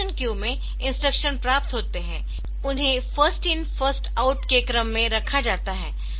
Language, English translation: Hindi, So, instruction queue the instruction surface and they are kept in first in first out order